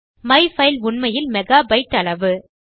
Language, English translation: Tamil, myfile is actually a mega byte